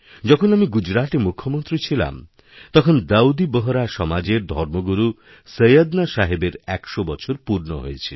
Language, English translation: Bengali, When I was Chief Minister of Gujarat, Syedna Sahib the religious leader of Dawoodi Bohra Community had completed his hundred years